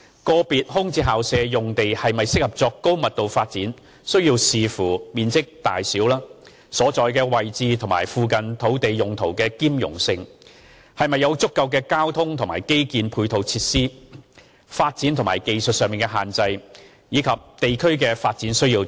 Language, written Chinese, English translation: Cantonese, 個別空置校舍用地是否適合作高密度發展須視乎面積大小、所在位置、與附近土地用途的兼容性、是否有足夠的交通和基建配套設施、發展或技術上的限制，以及地區的發展需要等。, Whether a VSP site is suitable for high - density development depends on its size location compatibility with the surrounding land uses adequacy of transport and infrastructure facilities development or technical constraints development needs of the respective district etc